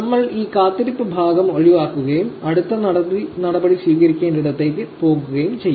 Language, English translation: Malayalam, We will just skip this waiting part and we will go where the next step needs to be taken